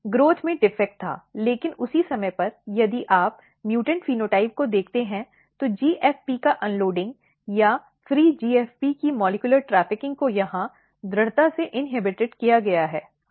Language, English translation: Hindi, There was defect in the growth, but at the same time, if you look the mutant phenotype, the unloading of the GFP or the molecular trafficking of the free GFP was strongly inhibited here